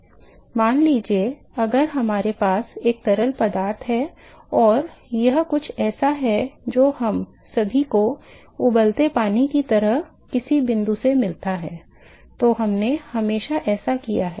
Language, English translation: Hindi, Now suppose if we have a fluid and this is something that all of us have encountet some point like boiling water we have always done that